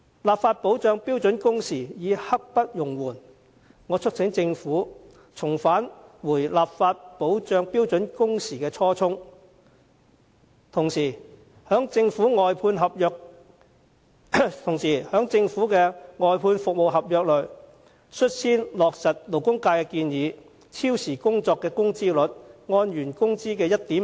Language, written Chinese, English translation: Cantonese, 立法保障標準工時刻不容緩，我促請政府緊記立法保障標準工時的初衷，同時在政府外判服務合約內，牽頭落實勞工界的建議，按原工資的 1.5 倍計算超時工作的工資。, It is a matter of great urgency to enact legislation to assure standard working hours . I urge the Government to bear in mind the original intention of legislating for standard working hours while taking the lead to implement in government outsourced service contracts the proposal put forward by the labour sector of calculating overtime wages by multiplying the original wages by 1.5 times